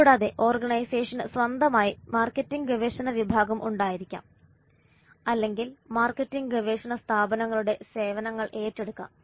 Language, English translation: Malayalam, And organization can have their own marketing research department or they can take the services of marketing research firms